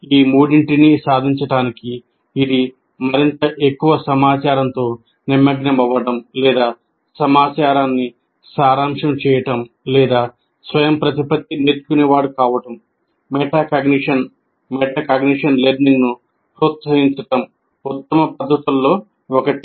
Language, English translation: Telugu, And to achieve these three, that is ability to engage with increasingly more information or distal information or to become an autonomous learner, one of the best methods is fostering metacognition learning